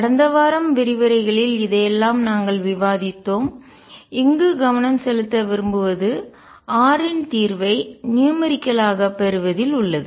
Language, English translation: Tamil, We discussed all this in the lectures last week what we want to focus on here is numerically on getting the solution of r